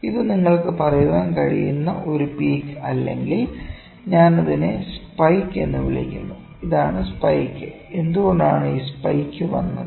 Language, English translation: Malayalam, This is a peak where you can say or better I call it spike, this is spike, why this spike has come, ok